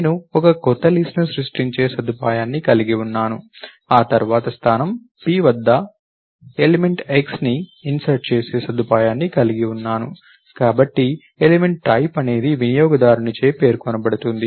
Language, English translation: Telugu, Then I have a facility to create a new list, then I have a facility to insert element x at position p, so element types or something that is specified by the user